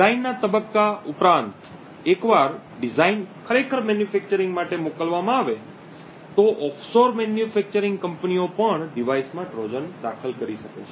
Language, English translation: Gujarati, In addition to the design phase once the design is actually sent out for manufacture the offshore manufacturing companies may also insert Trojans in the device